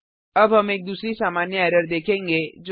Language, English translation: Hindi, Now we will see another common error which we can come across